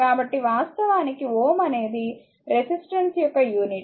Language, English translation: Telugu, So, either actually ohm is the unit of resistor resistance